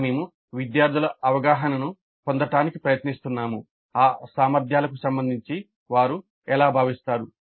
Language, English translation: Telugu, Here we are trying to get the perception of the students how they feel with respect to those competencies